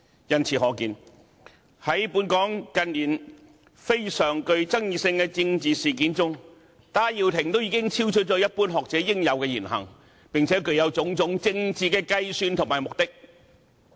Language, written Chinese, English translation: Cantonese, 由此可見，在本港近年非常具爭議性的政治事件中，戴耀廷所作的已經超出一般學者應有的言行，並且具有種種政治計算和目的。, It shows that in highly controversial political incidents in Hong Kong in recent years Benny TAI has made speeches and taken actions beyond what is expected of ordinary scholars with various political calculations and aims